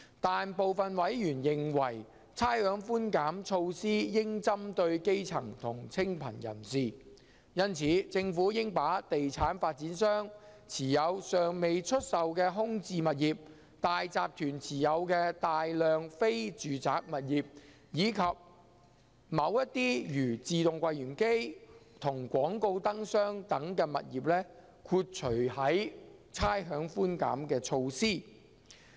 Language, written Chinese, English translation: Cantonese, 但是，部分委員認為差餉寬減措施應針對基層和清貧人士，因此政府應把地產發展商持有尚未出售的空置物業、大集團持有的大量非住宅物業，以及某些如自動櫃員機和廣告燈箱等物業豁除於差餉寬減措施。, However some members consider that the rates concession measure should target at the grass roots and the needy . For this reason the Government should exclude unsold vacant properties held by property developers a large number of non - residential properties held by consortia and certain properties such as automatic teller machines and advertising light boxes from the rates concession measure